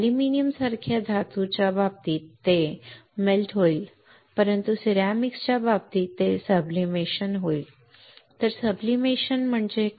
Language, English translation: Marathi, In case of metal like aluminum it will melt, but in case of ceramics it will sublimate right find what is sublimation